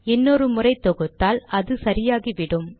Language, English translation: Tamil, If I compile once more, this is exactly the same